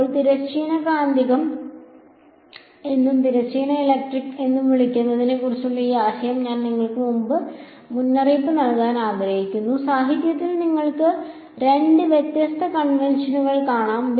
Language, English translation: Malayalam, Now, one thing I want to caution you this idea of what is called transverse magnetic and what is called transverse electric, you will find two different conventions in the literature